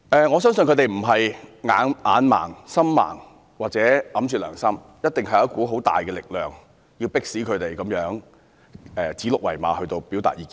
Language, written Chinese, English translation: Cantonese, 我相信他們不是眼盲、心盲或埋沒良心，一定是有一股十分大的力量，迫使他們如此指鹿為馬般地表達意見。, I believe they are not visually impaired blind at heart or acting against their own conscience . They are instead forced by a very powerful power to express their views by calling a stag a horse